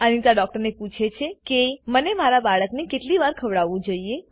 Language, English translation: Gujarati, Anita asks the doctor, How often should I feed my baby.